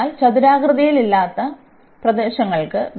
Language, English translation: Malayalam, So, for non rectangular regions